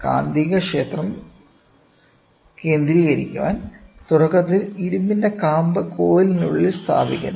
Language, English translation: Malayalam, To concentrate the magnetic field, initially the iron core is placed inside the coil